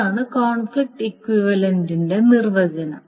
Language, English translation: Malayalam, So that is the definition of conflict equivalent